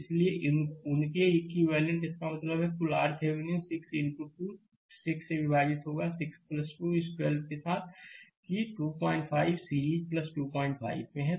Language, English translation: Hindi, Therefore, their equivalent to; that means, total R Thevenin will be your 6 into 2 divided by your 6 plus 2 this 12 with that 2